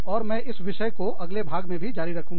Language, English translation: Hindi, And, i will continue with this topic, in the next part